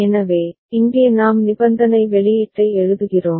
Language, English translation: Tamil, So, here we are writing the conditional output